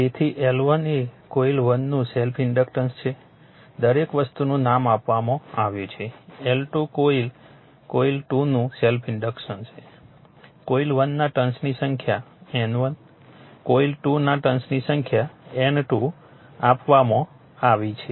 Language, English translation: Gujarati, So, L 1 is the self inductance of coil 1 everything is given all nomenclature is given L 2 self inductance of coil 2 N 1 number of turns of coil 1 given N 2 number of turns coil 2 is given